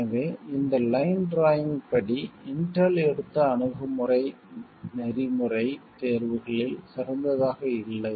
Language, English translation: Tamil, So, according to this line drawing the approach taken by Intel wasn't the best of the ethical choices